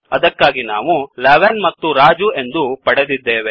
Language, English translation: Kannada, So, we get 11 and Raju